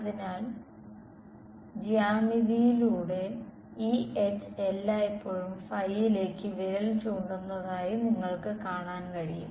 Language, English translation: Malayalam, So, that just by geometry you can see that this H is always pointing in the phi hat ok